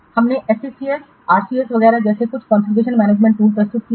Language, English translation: Hindi, We have presented some configuration management tools such as SCCS, R, etc